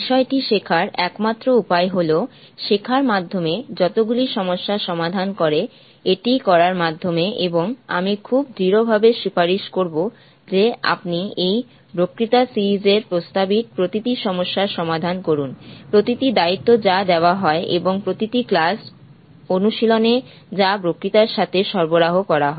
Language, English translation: Bengali, OK The only way to learn the subject is by solving as many problems that is by learning by doing, and I would very strongly recommend that you solve every problem that is proposed in this lecture series, every assignment that is given and also every in class excercise which is provided along with the lectures